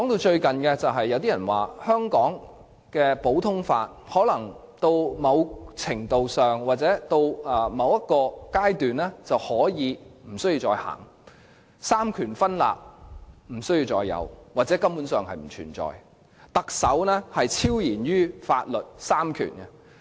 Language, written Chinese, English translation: Cantonese, 最近，有人說如果到了某個程度或階段，香港便可以不再實行普通法，亦不必再有三權分立甚或三權分立根本不存在，屆時特首將會超然於法律和三權。, Recently someone said that at some point or stage Hong Kong may do away with common law and the separation of powers or the separation of powers has never existed . By that time the Chief Executive will be above the law as well as above the three powers